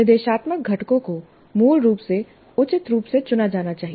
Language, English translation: Hindi, Instructional components must be chosen appropriately, basically